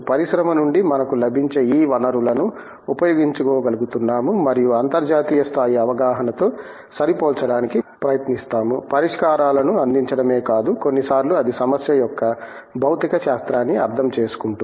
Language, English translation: Telugu, That is where we have an interesting combination that we are able to use these sources that we get from the industry and try to match it to international levels of understanding, not just offering the solutions sometimes it is understanding the physics of the problem